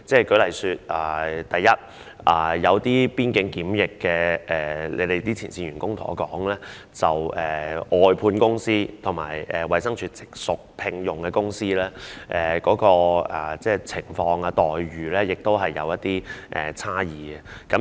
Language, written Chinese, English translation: Cantonese, 舉例而言，有些負責邊境檢疫的前線員工告訴我，外判公司和直屬衞生署、由它聘用的公司的情況和待遇是有差異的。, For example some frontline officers responsible for quarantine at the control points have told me that the situations of and remunerations for outsourced service contractors and companies directly hired by DH differ